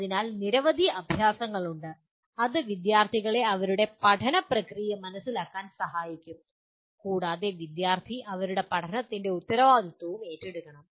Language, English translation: Malayalam, So there are several exercises that would be, could help students to understand their own learning process and the student should also take responsibility for their own learning